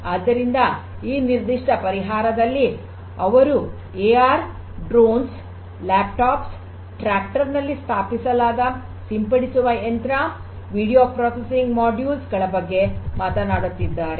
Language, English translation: Kannada, So, here in this particular solution they are talking about the use of AR Drones, laptops, a sprayer installed in the tractor, video processing modules